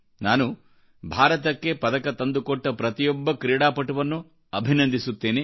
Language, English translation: Kannada, I wish to congratulate all players who have won medals for the country